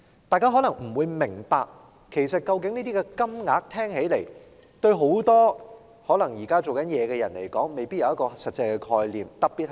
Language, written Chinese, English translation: Cantonese, 大家聽起來未必明白，而現在很多在職人士其實對這些金額未必有實際概念。, Members may not catch this and now many working people actually may not have any concrete idea of such numbers